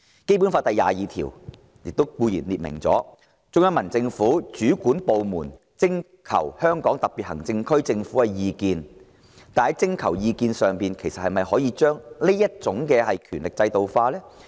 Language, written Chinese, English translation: Cantonese, 《基本法》第二十二條列明，中央人民政府主管部門徵求香港特別行政區政府的意見，才確定進入香港特別行政區定居的人數。, Article 22 of the Basic Law stipulates that the number of persons who enter the Hong Kong SAR for the purpose of settlement shall be determined by the competent authorities of the Central Peoples Government after consulting the SAR Government